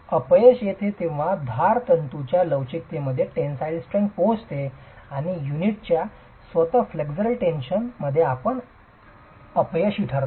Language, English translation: Marathi, Failure occurs when the tensile strength in flexure of the edge fibers are reached and you get failure under flexual tension of the unit itself